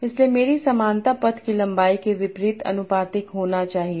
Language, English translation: Hindi, So my similarity should be inversely proportional to the path length